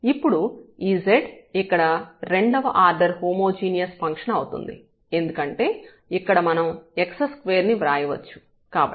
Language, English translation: Telugu, And, now this z here is a function of is a homogeneous function of order 2 because here we can write down as x square